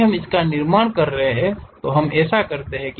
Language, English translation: Hindi, If we are doing it construct, let us do that